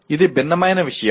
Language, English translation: Telugu, It is something different